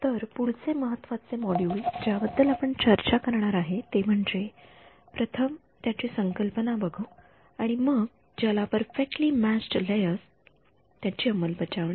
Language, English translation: Marathi, So, the next very important module that we are going to talk about is implementing first conceptualizing and then implementing what are called perfectly matched layers